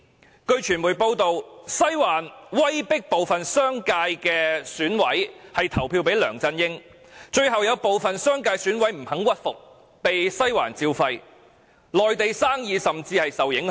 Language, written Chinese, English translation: Cantonese, 根據傳媒報道，"西環"威迫部分商界選委投票給梁振英，最後有部分商界選委不肯屈服，被"西環照肺"，連內地生意亦受到影響。, According to media reports Western District coerced some EC members of the commercial subsectors to vote for LEUNG Chun - ying . As some of them refused to comply they were given a dressing down by Western District and their business in the Mainland business was also adversely affected